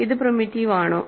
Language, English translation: Malayalam, Is this primitive